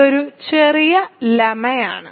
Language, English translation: Malayalam, So, this is a small lemma